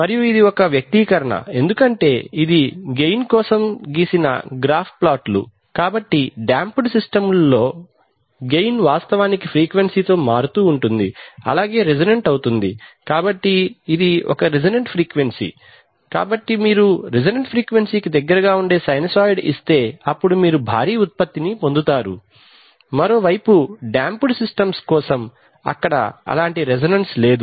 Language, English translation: Telugu, And this is the expression, for this is the plot for gain, so you see that the gain actually changes with frequency right and for under damped systems the system tends to be, tends to resonate so this is the resonant frequency, so if you give a sinusoid close to the resonant frequency then you get a huge output right, on the other hand for over damped system there is, there is, there is no such resonance